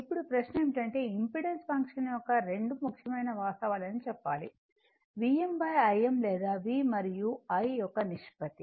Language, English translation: Telugu, Now, question is that impedance function must tell 2 important fact; the ratio of V m to I m or V to I